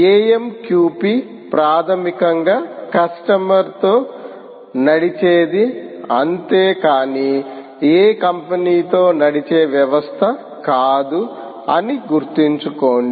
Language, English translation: Telugu, all right, remember that amqp is basically customer driven, not any company driven system